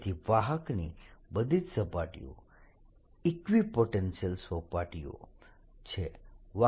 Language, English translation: Gujarati, so all the surface of the conductor are equipotential surfaces